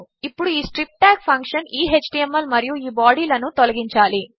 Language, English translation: Telugu, Now this strip tag function must get rid of this html and this body